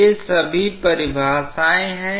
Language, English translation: Hindi, These are all definitions